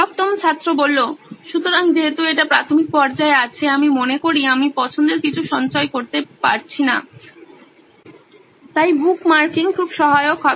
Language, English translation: Bengali, So since this is at initial stages I think I am not able to stores the favourites, so bookmarking will be very helpful